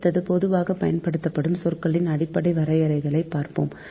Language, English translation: Tamil, next is basic definitions of commonly used terms, right